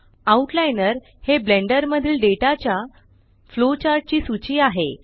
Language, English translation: Marathi, The Outliner is a flowchart list of data in Blender